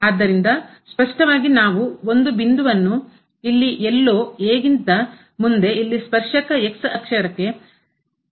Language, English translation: Kannada, So, clearly we can observe that there is a point here somewhere next to this , where the tangent is parallel to the